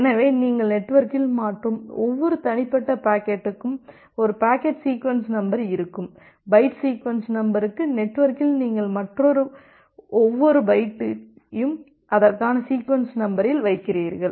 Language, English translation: Tamil, So, in case of a packet sequence number for every individual packet that you are transferring in the network, you put one sequence number for the packet, for the byte sequence number, every individual byte that you are transferring in the network, you put one sequence number for that